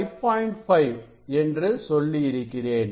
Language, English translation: Tamil, 5 it is a 5